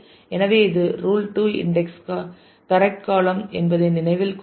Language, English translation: Tamil, So, this remember the rule 2 index the correct columns